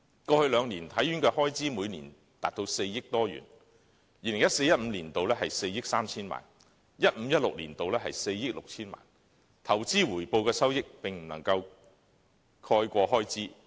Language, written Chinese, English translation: Cantonese, 過去兩年，體院的開支每年達4億多元，在 2014-2015 年度是4億 3,000 萬元 ，2015-2016 年度則是4億 6,000 萬元，投資回報的收益並不足以應付開支。, In the past two years the expenditure of HKSI exceeded 400 million per annum with 430 million and 460 million recorded in 2014 - 2015 and 2015 - 2016 respectively . The proceeds from investment returns were not enough to meet expenditure